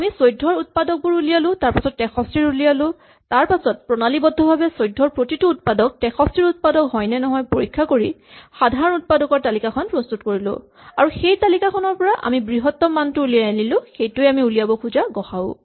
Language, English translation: Assamese, We have computed the factors of 14, computed the factors of 63, systematically checked for every factor of 14, whether it is also a factor of 63 and computed the list of common factors here and then from this list we have extracted the largest one and this in fact, is our gcd